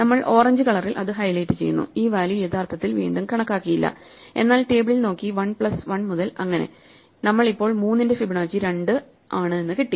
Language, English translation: Malayalam, We highlight in orange the fact that this value was actually not recomputed, but looked up in the table, so from 1 plus 1, we now have Fibonacci of 3 is 2